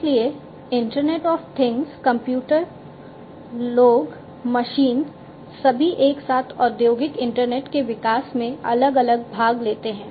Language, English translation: Hindi, So, internet of things computers, people, machines all together are different participate participants in the development of the industrial internet